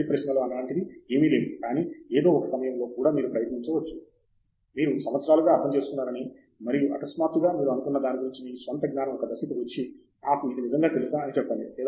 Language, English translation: Telugu, There is nothing like silly questions, but even at some point you may question your own knowledge of what you thought you understood for years and suddenly you come to a point and say did I really know this